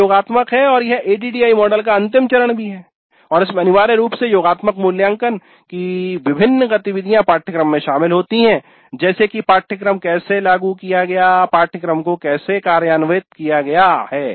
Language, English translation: Hindi, This is summative and this is the final phase of the ID model and this essentially has again several activities towards summative evaluation of how the course has taken place, how the course was implemented